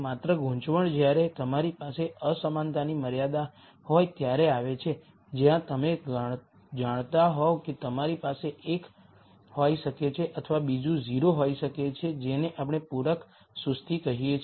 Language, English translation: Gujarati, The only complication comes in when you have these inequality constraints where either you know you have can have one or the other be 0 that is what we call as complementary slackness